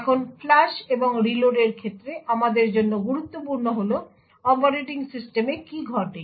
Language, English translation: Bengali, Now, important for us with respect to the flush and reload is what happens in the operating system